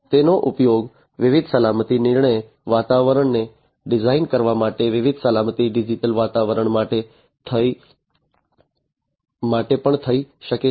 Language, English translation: Gujarati, It also can be used for different safety critical environments for designing different safety critical environments